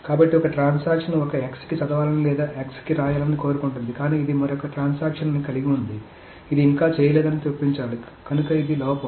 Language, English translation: Telugu, So one transaction wants to read an x or write to an x but the other transaction which is supposed to insert it has not yet done